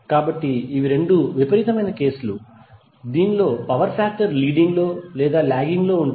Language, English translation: Telugu, So these are the 2 extreme cases in which power factor is said to be either leading or lagging